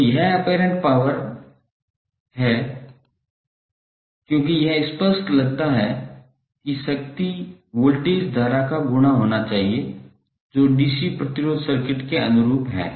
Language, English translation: Hindi, So it is apparent power because it seems apparent that the power should be the voltage current product which is by analogy with the DC resistive circuit